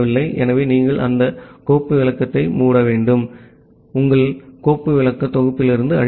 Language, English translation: Tamil, So, you close that file descriptor and clear it from your file descriptor set